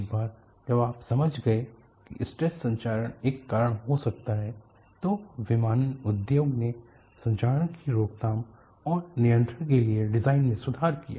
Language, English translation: Hindi, So, once you have understood thestress corrosion could be a cause, aviation industry improved the design for corrosion prevention and control